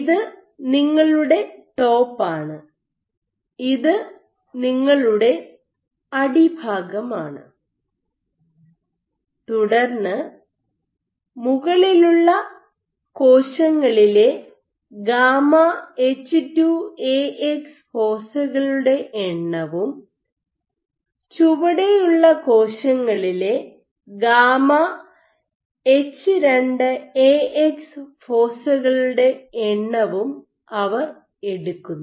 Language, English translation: Malayalam, So, this is your top this is your bottom and then they take the number of gamma H2Ax foci in top cells which are at the top and cells which are at the bottom and they find that